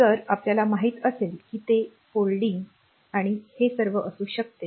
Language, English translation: Marathi, So, as we know that it may lead to folding and all that